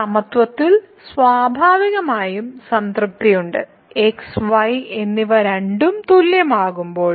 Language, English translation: Malayalam, So, then in equality is naturally satisfied when and both are same